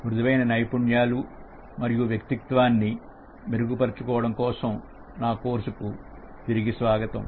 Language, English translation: Telugu, Welcome back to my course on Enhancing Soft Skills and Personality